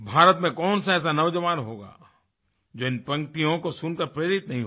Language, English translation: Hindi, Where will you find a young man in India who will not be inspired listening to these lines